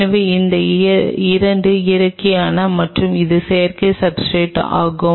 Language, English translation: Tamil, So, these 2 are the natural and this is the synthetic substrate